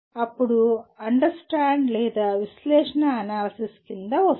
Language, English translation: Telugu, Then it will come under understand or analysis